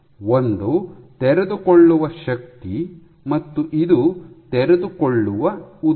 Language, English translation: Kannada, One is force of unfolding and this is the unfolded length